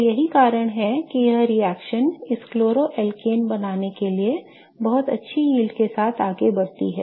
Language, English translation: Hindi, So, that's why this reaction proceeds with very good yields to form the corresponding chloroalkate